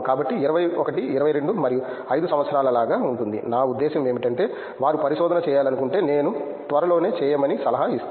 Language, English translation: Telugu, So, there will be like 21, 22 and 5 years, I mean I mean if they want to do the research I think I would advise them to do soon